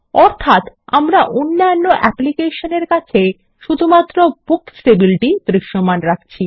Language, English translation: Bengali, Meaning, we are marking only the Books table to be visible to other applications